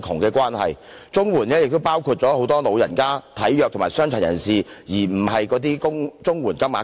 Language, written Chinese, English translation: Cantonese, 綜援受助人亦包括很多長者、體弱及傷殘人士，而不是綜援金額高。, It is not that CSSA payments are high but CSSA recipients also include many elderly frail and disabled persons